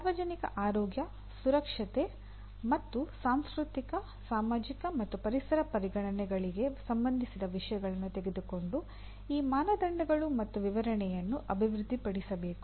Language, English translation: Kannada, These criteria and specification should be developed taking issues related to the public health and safety and the cultural, societal and environmental consideration